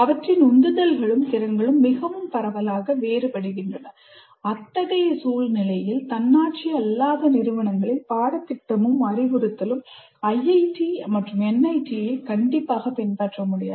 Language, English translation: Tamil, And in such a situation, the curriculum and instruction in the non autonomous institutions cannot and should not emulate IITs and NITs